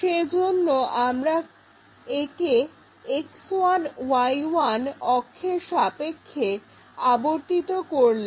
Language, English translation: Bengali, And, we rotate that about this axis X1Y1